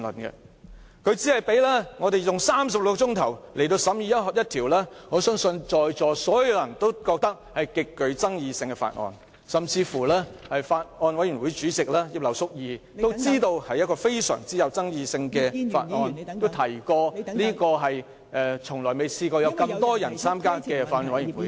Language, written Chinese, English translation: Cantonese, 他只給予36小時，讓我們審議一項相信在座所有人也認為極具爭議的法案，甚至連法案委員會主席葉劉淑儀議員也知道這是一項極具爭議的法案，並表示從未有那麼多議員參加法案委員會。, He has allocated only 36 hours for us to scrutinize the Bill considered by all Members present to be extremely controversial . Even Mrs Regina IP Chairman of the Bills Committee is well aware that this Bill is extremely controversial in saying that no other Bills Committee has such a large membership